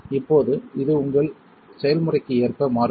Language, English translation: Tamil, Now this varies according to your process